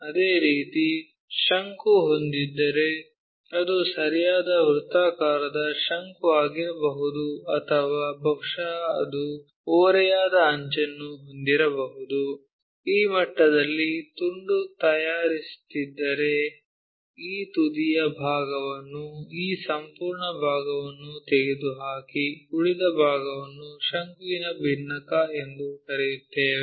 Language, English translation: Kannada, Similarly, if we have a cone it can be right circular cone or perhaps it might be having a slant edge, if we are making a slice at this level, remove this apex portion this entire part, the leftover part what we call frustum of a cone